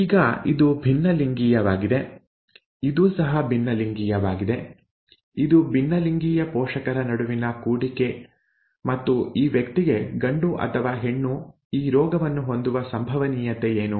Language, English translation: Kannada, Now this is heterozygous, this is also heterozygous, it is a cross between heterozygous parents and what is their probability that this person, whether male or female would have the disease